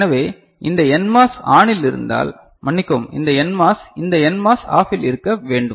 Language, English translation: Tamil, So, if sorry if this NMOS is ON then this NMOS this NMOS needs to be OFF ok